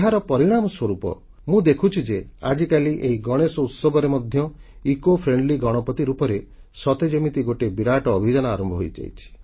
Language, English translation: Odia, And as a result of this I find that, the ecofriendly Ganpati, in this Ganesh Festival has turned into a huge campaign